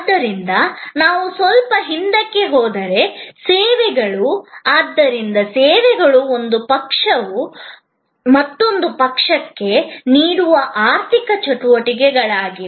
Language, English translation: Kannada, So, services are if we go back a little bit, so services are economic activities offered by one party to another